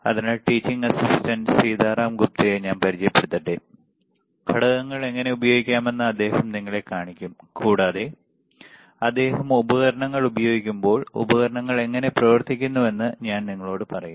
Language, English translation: Malayalam, So, let me introduce the teaching assistant, Sitaram Gupta, he will be showing you how to use the components, and as and when he is using the devices or using the equipment, I will tell you how the equipment works how you can use the devices, all right